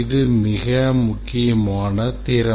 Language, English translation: Tamil, This is a very important skill